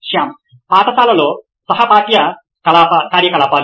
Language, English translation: Telugu, Shyam: Co curricular activities in school